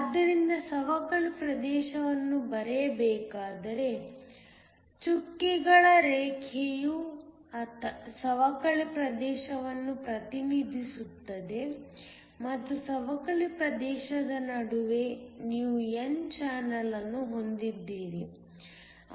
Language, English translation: Kannada, So, If were to draw a depletion region, so the dotted line represent the depletion region and between the depletion region you have an n channel